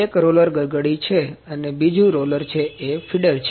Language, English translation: Gujarati, One roller is pulley; another roller is feeder